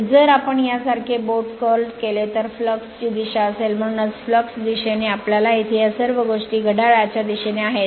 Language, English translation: Marathi, And if you curl the finger like this will be the direction of the flux that is why flux direction if you see here all this things are clockwise all this things are clockwise